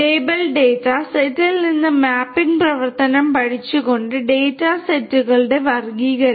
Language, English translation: Malayalam, Classification of data sets by learning the mapping function from the label data set